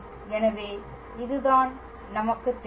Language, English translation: Tamil, So, this is what we know